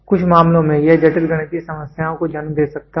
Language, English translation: Hindi, In some cases, it may lead to complicated mathematical problems